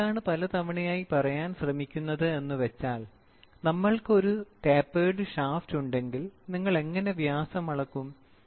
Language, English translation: Malayalam, What am I trying to say is, many a times what we do, if we have a inclined or if we have a taperd shaft, ok, if we have a regular shaft measuring diameter is very easy